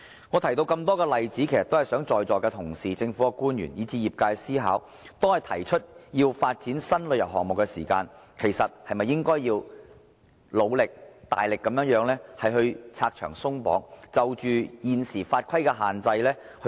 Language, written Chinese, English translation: Cantonese, 我提出眾多例子，希望在座同事、政府官員，以至業界思考，當我們提出要發展新旅遊項目時，其實是不是應該努力拆牆鬆綁，檢討現時法規的限制？, I have enumerated these examples to enable Members present government officials and the industry to consider the following question When we propose the development of new tourism programmes should efforts be made to abolish various regulations and restrictions and review the restrictions under the existing legislation?